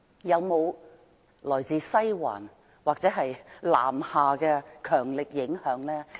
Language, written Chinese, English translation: Cantonese, 有沒有來自"西環"或南下的強力影響？, Is there any strong influence from Western District or from the north?